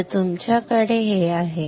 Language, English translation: Marathi, Now you have this